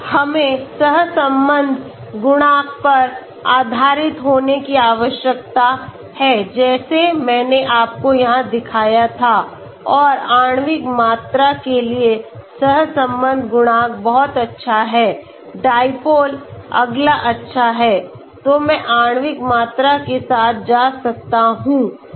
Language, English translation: Hindi, So we need to based on the correlation coefficient like I showed you here right and the excel the correlation coefficient for molecular volume is very good, dipole is next good, so I may go with molecular volume